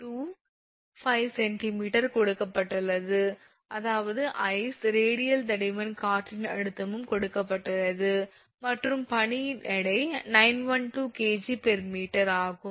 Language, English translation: Tamil, 25 centimeter; that means, your ice radial thickness is also given wind pressure is also given and weight of the ice is 912 kg per meter cube